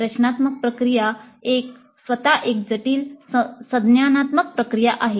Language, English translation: Marathi, The design process itself is a complex cognitive process